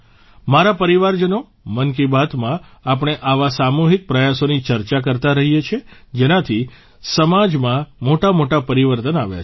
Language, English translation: Gujarati, My family members, in 'Mann Ki Baat' we have been discussing such collective efforts which have brought about major changes in the society